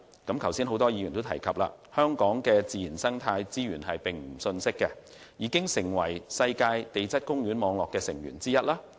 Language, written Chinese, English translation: Cantonese, 剛才多位議員都有提及，香港的自然生態資源並不遜色，已成為世界地質公園網絡的成員之一。, Many Members have mentioned just now that Hong Kongs natural and ecological resources compare favourably with those of other places and Hong Kong has become a member of the Global Geoparks Network